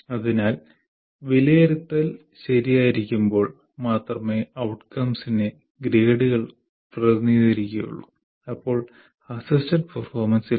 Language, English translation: Malayalam, So, the outcomes are represented by grades only when assessment is right, there is no assisted performance activity and evaluation is right